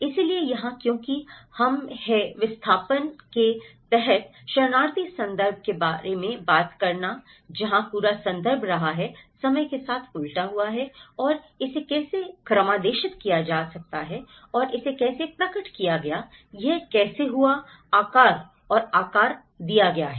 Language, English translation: Hindi, So, here because we are talking about the refugee context under displacement where the whole context has been reversed out and how it is programmed in time and how it has been manifested, how it has been shaped and reshaped